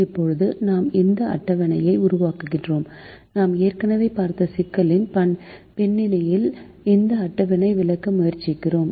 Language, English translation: Tamil, now we make this table and we try to explain this table in the context of the problem that we have already looked at